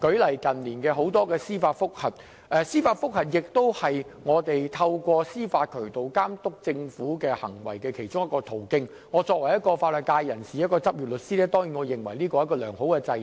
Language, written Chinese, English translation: Cantonese, 當然，司法覆核是我們透過司法渠道監督政府行為的其中一個途徑，作為一名法律界人士，一名執業律師，我當然認為這是一個良好制度。, Certainly judicial review is one of the channels for monitoring the acts of the Government and as a member of the legal sector and a practicing lawyer I definitely agree that it is a good system